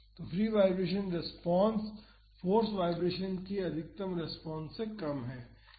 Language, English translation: Hindi, So, the free vibration response the maximum response is less than that of the force vibration maximum